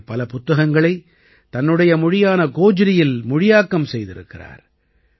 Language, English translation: Tamil, He has translated many books into Gojri language